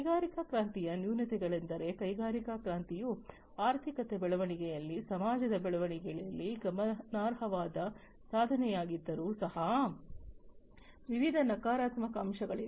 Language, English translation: Kannada, The drawbacks of industrial revolution was that even though industrial revolution was a significant leap in the growth of economy, in the growth of city society, and so, on there were different negative aspects